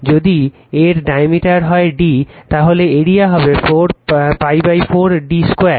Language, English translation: Bengali, If it is diameter is d, so area will be pi by 4 d square